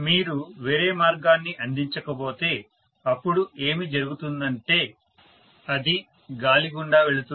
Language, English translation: Telugu, If you do not provide any other path, then what will happen is it will go through the air